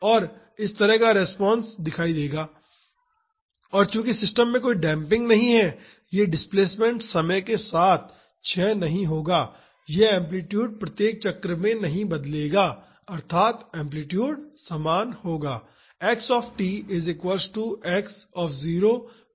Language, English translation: Hindi, And this is how the response would look like and since there is no damping in the system, this displacement will not decay in time this amplitude will not change at each cycle the amplitude will be same